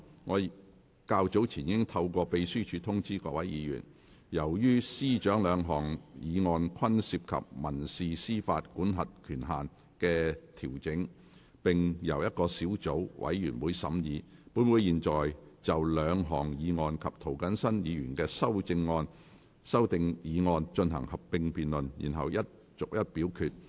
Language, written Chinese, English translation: Cantonese, 我較早前已透過秘書處通知議員，由於司長兩項議案均涉及民事司法管轄權限的調整，並且由同一個小組委員會審議，本會會就兩項議案及涂謹申議員的修訂議案進行合併辯論，然後逐一表決。, I have earlier informed Members through the Legislative Council Secretariat that as the Chief Secretary for Administrations two motions relate to adjustments to the civil jurisdictional limits and were scrutinized by the same subcommittee this Council will proceed to a joint debate on the two motions and Mr James TOs amending motion and then proceed to vote on the motions and amending motion one by one